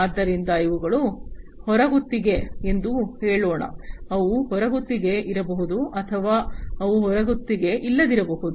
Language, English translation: Kannada, So, this will be like let us say that these are outsourced, they maybe outsource or they may not be outsource